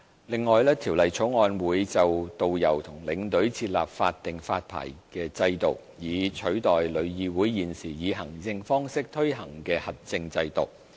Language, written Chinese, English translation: Cantonese, 另外，《條例草案》會就導遊和領隊設立法定發牌制度，以取代旅議會現時以行政方式推行的核證制度。, Moreover the Bill will establish a statutory licensing regime for tourist guides and tour escorts to replace the existing accreditation system implemented by TIC administratively